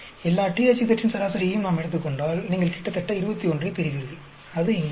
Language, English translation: Tamil, And if we take average of all THZ you may get around 21, that is here